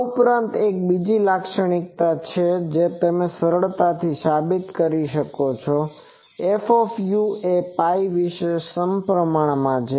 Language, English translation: Gujarati, Also there is another property that you can easily prove that F u is symmetric about pi